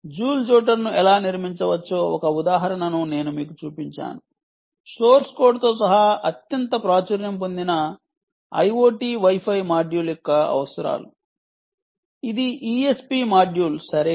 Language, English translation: Telugu, i showed you an example of how joule jotter can be built ah including source code, the ah requirements for the most popular ah i o t wifi module, which is that e s p module right